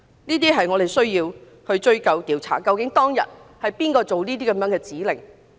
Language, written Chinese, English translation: Cantonese, 這些我們都需要追究和調查，究竟當日是誰發出這些指令。, We must find out who gave those orders that day and hold them accountable